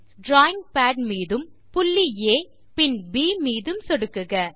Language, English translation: Tamil, Click on the drawing pad, point A and then on B